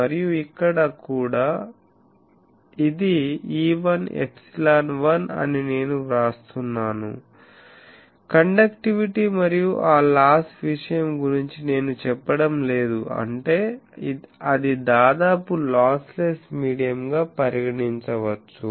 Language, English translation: Telugu, And here also I write that this is e1 epsilon 1, I am not saying about the conductivity that loss thing we have discussed that more or less that is we can say that lossless medium type of thing